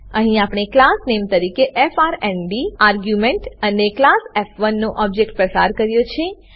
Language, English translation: Gujarati, Here, we have passed arguments as class name frnd and object of the class f1